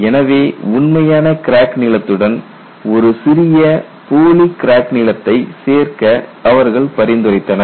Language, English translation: Tamil, So, they suggested addition of a small pseudo crack length to the actual crack lengths